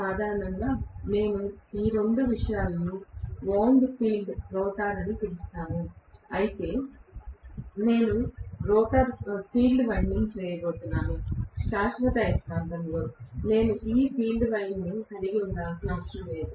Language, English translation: Telugu, In general, I can call both these things together as wound field rotor, which means I am going to have field winding whereas in permanent magnet I do not have to have this field winding